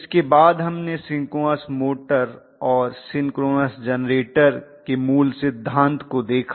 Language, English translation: Hindi, After this we actually looked at the basic principle of synchronous motor and synchronous generator